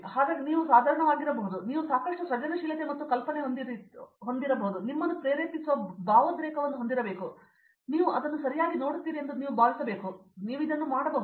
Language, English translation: Kannada, So, the thing is that you can be a mediocre, you just need to have a lot of creativity and imagination and the passion that drives you, you have to feel that okay you are good at this, you can do this